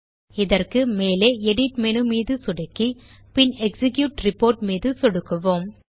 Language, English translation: Tamil, For this, we will click on the Edit menu at the top and then click on the Execute Report